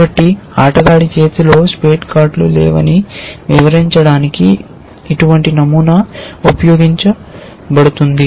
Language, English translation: Telugu, So, such a pattern would be used to describe the fact that a given player does not have any spade cards in his or hand, her hand